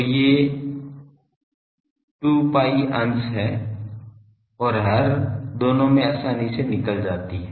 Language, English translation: Hindi, So, these 2 pi comes out readily both in the numerator and denominator